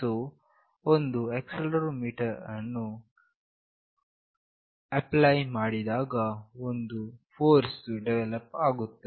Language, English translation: Kannada, So, as an acceleration is applied, a force is developed